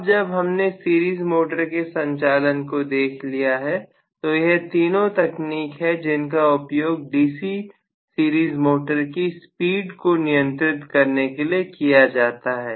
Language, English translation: Hindi, Now, that we have seen the series motor operation, so these are the three techniques that are used for the speed control of DC series motor